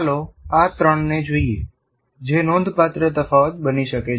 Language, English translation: Gujarati, Now, let us look at these three in the which can make a great difference